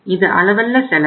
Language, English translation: Tamil, This is the cost